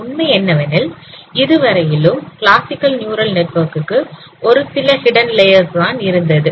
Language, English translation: Tamil, Now the fact is that so far for classical artificial neural networks we had only a few hidden layers